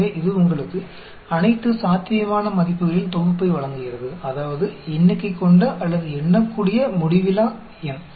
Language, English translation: Tamil, So, it gives you a set of all possible values, that means, a finite, or a countable infinite number